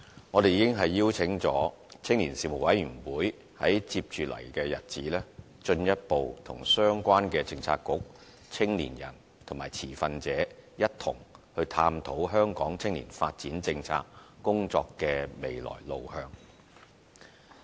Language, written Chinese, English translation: Cantonese, 我們已邀請青年事務委員會，在接着的日子進一步與相關的政策局、青年人和持份者一同探討香港青年發展政策工作的未來路向。, We have invited the Commission on Youth to further explore the future direction of the youth development policy in Hong Kong in collaboration with the relevant Policy Bureaux young people and stakeholders